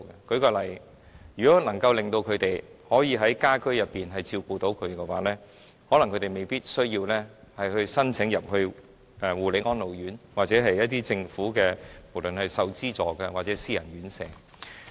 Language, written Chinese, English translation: Cantonese, 舉例說，如果他們能夠照顧殘疾家人的日常生活，他們可能未必需要申請護理安老院，或政府資助的院舍或沒有政府資助的私人院舍。, For example if they can take care of the daily lives of their disabled family members they may not need to apply for places in care and attention homes publicly - funded institutions or private homes without any government subsidy